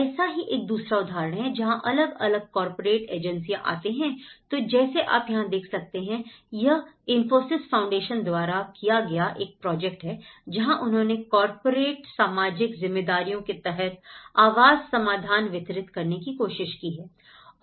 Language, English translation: Hindi, There is another case, like where different corporate agencies come like for example this was a project by Infosys Foundation where, as a part of their corporate social responsibilities, they try to come and deliver the housing solutions